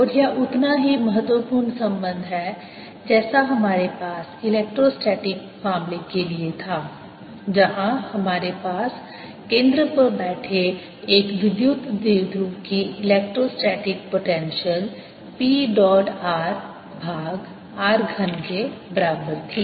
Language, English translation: Hindi, and this is as important relationship as we had for electrostatic case, where we had the electrostatic potential of a electric dipole sitting at this origin was equal to p dot r over r cubed